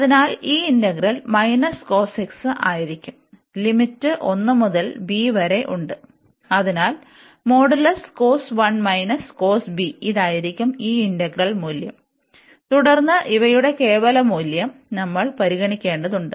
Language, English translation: Malayalam, So, this integral will be the minus this cos x, and then we have this limit a to b, so which will b this cos 1 minus the cos b this integral value, and then the absolute value of of of these we have to consider